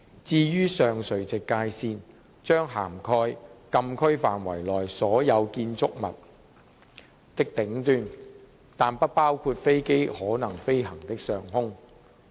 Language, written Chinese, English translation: Cantonese, 至於上垂直界線，將涵蓋禁區範圍內所有建築物的頂端，但不包括飛機可能飛行的上空。, As for the upper vertical boundaries it would cover the top of all structures in the Closed Areas but not the airspace in which aircraft might fly